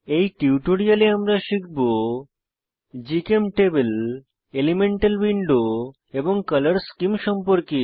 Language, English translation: Bengali, In this tutorial, we will learn about * GChemTable * Elemental window and Color schemes